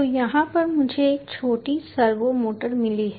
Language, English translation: Hindi, so over here i have got a small servo motor